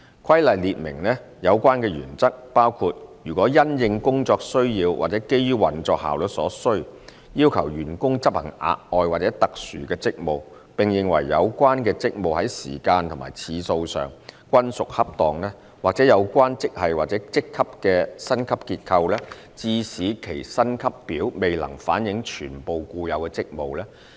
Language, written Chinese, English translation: Cantonese, 《規例》列明的有關原則，包括如因應工作需要或基於運作效率所需，要求員工執行額外或特殊職務，並認為有關職務在時間和次數上均屬恰當；或有關職系或職級的薪級結構致使其薪級表未能反映全部固有職務。, The relevant general principle stipulated in the Regulations includes that JRAs are only payable when the staff are required to deliver the extra or unusual duties for such duration and frequency as considered appropriate in the light of service need and operational efficiency or when the pay structure of the graderank concerned is such that the inherent duties cannot be fully reflected in the pay scale